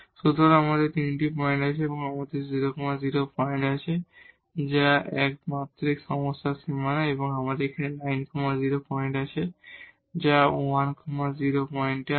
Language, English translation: Bengali, So, we have 3 points, we have the 0 0 points, which is the boundary of this one dimensional problem and here we have the 9 0 point and we have the 1 0 point